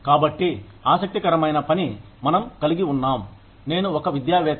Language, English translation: Telugu, So, the interesting work, that we have, I am an academician